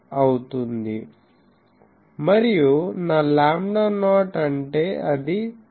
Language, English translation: Telugu, And, what is my lambda not it is 2